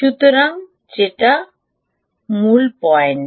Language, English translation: Bengali, so thats the key point